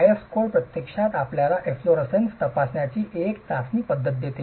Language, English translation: Marathi, The IS code actually gives you a test method to check efflorescence